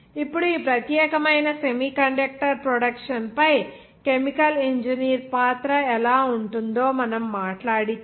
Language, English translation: Telugu, Now, if we talk about how that chemical engineer role on this particular semiconductor production